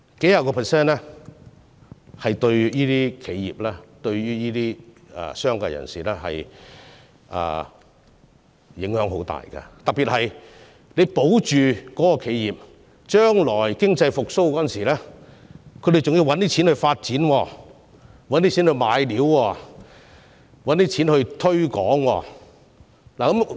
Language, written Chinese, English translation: Cantonese, 數十個百分比對企業、商界人士的影響很大，特別是將來當經濟復蘇時，獲保住的企業便需要資金來購買材料、發展和推廣業務。, A couple of percentage points matters a lot to enterprises and members of the business sector especially during economy recovery in the future when surviving enterprises will need funds for the purchase of raw materials and business development and promotion